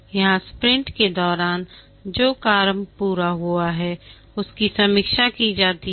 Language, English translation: Hindi, Here, the work that has been completed during the sprint are reviewed